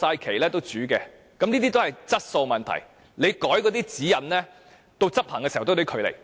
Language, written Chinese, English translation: Cantonese, 這些涉及質素問題，即使你修改指引，到執行時也有距離。, Even if we amend the guidelines the implementation is another story